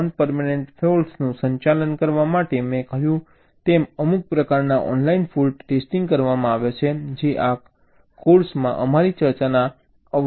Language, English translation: Gujarati, for handling the non permanent faults, as i said, some kind of online fault testing is done, which is a little beyond the scope of our discussion in this course